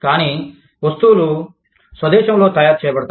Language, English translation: Telugu, But, these things are manufactured, in the home country